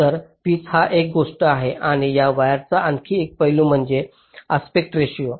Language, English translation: Marathi, ok, so pitch is one thing and another aspect of this wires is something called the aspect ratio